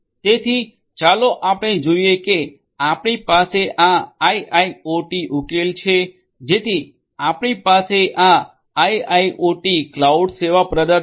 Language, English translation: Gujarati, So, let us say that we have this IIoT solution, so we have this IIoT cloud service provider cloud provider right